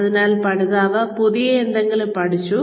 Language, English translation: Malayalam, So, the learner has learnt, something new